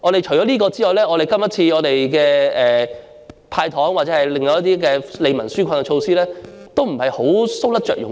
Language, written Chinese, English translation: Cantonese, 除此之外，今次的"派糖"或其他一些利民紓困措施都是搔不着癢處。, Besides the candies or other relief measures provided this time around cannot get to the core of the problem